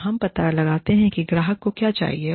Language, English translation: Hindi, So, we find out, what the client needs